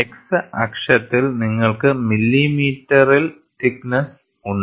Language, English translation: Malayalam, On the x axis, you have the thickness in millimeters